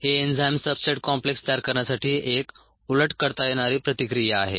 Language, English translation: Marathi, this is the reversible reaction to form an enzyme substrate complex and this reaction is fast